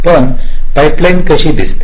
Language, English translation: Marathi, but how a pipeline looks like